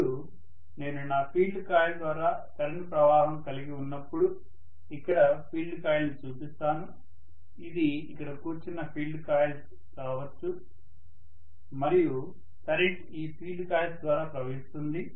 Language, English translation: Telugu, Now when I am having current flowing through my field coil, so let me show the field coil here, this is probably going to be the field coils which are sitting here and the current is going to flow through these field coils